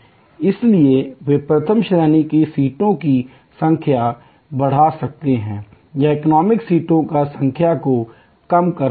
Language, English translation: Hindi, So, they can increase the number of first class seats or business class seats reducing the number of economy seats